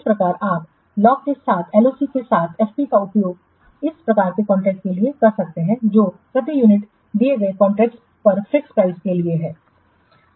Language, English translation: Hindi, So, you can use FP in place of LOC for this type of contract that is for fixed price for unit delivered contracts